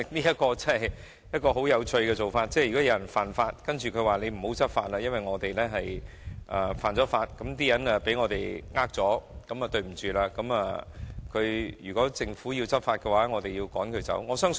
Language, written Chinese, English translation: Cantonese, 這做法真的很有趣，等於有人犯法卻要求政府不要執法，因為他們犯法令市民被騙，所以一旦政府執法，市民便會被趕走。, This proposal is interesting in the sense that it is tantamount to asking the Government not to enforce the law against lawbreakers who have cheated the public for once the law is enforced people who have been cheated will suffer further